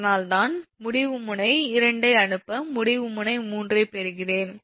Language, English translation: Tamil, thats why i sending in node two, receiving in node three